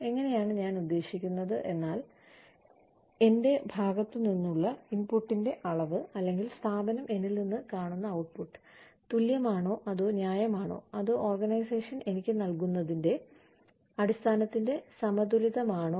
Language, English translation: Malayalam, How I mean, is the amount of input, from my side, or, the output, that the organization sees from me, equal, or equitable, or fair, in terms of, or balanced with, what the organization is giving me, for it